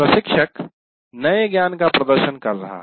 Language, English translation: Hindi, The instructor is demonstrating the new knowledge